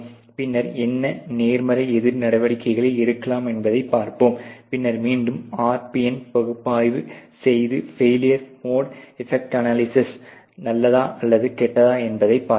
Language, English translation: Tamil, And then we will see what positive counter measures can be implemented, and then again do the RPN analyses to see is the failure mode effect analysis good or bad ok